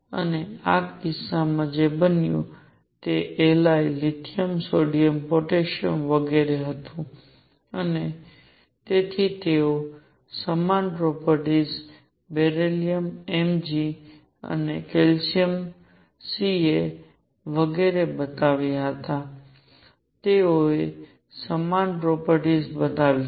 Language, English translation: Gujarati, And in this case what happened was Li lithium, sodium, potassium and so on they showed similar properties, beryllium Mg and calcium and so on, they showed similar properties